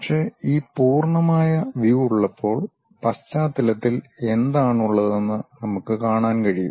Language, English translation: Malayalam, But, when we have this full sectional view, we can really see what is there at background also